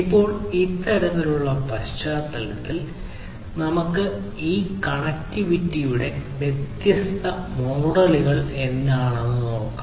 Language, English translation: Malayalam, Now, let us look at in this kind of backdrop what are the different models for this connectivity